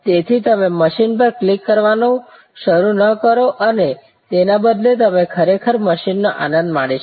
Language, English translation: Gujarati, So, that you do not start clicking the machine you rather actually enjoying the company on the machine